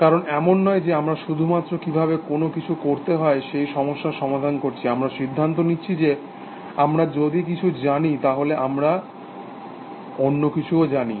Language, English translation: Bengali, Because it is not that we are just solving problems, of how to do things, but we also making inferences, that if we know something, then we know something else